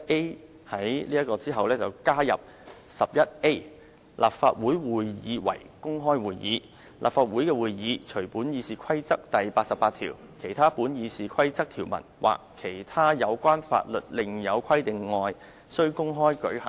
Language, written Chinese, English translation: Cantonese, 我建議在第11條之後加入有關 "11A. 立法會會議為公開會議"的條文，規定"立法會的會議，除本議事規則第88條、其他本議事規則條文或其他有關法律另有規定外，須公開舉行。, I propose to add a provision on 11A . Council Meetings be Held Openly after RoP 11 to stipulate that All meetings of the Council shall be conducted in an open manner subject to Rule 88 or otherwise as required by the Rules of Procedure or by law